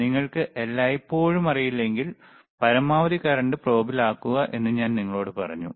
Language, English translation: Malayalam, I told you that if you do not know always, keep the current on maximum probe on maximum,